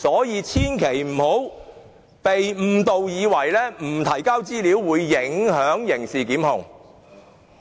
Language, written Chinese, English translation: Cantonese, 因此，大家千萬不要被誤導，以為不提交資料便會影響刑事檢控。, Hence we should never be misled into believing that criminal prosecution will be affected without the submission of the information